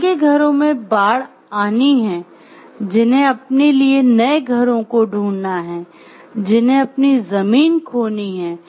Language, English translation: Hindi, So, like who are whose homes are getting flooded or who have to find their new homes who have to who were losing their land